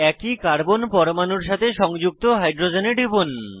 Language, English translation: Bengali, Click on the hydrogens attached to the same carbon atom